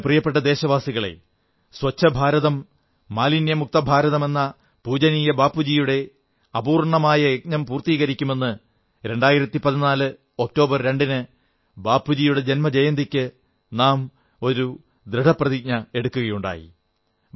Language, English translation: Malayalam, My dear countrymen, all of us made a resolve on Bapu's birth anniversary on October 2, 2014 to take forward Bapu's unfinished task of building a 'Clean India' and 'a filth free India'